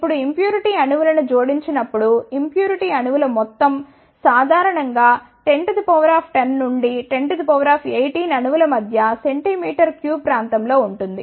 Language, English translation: Telugu, Now, when the impurity atoms are added the amount of impurity atoms are generally lies between 10 to the power 10 to 10 to the power 18s atoms in per centimeter cube region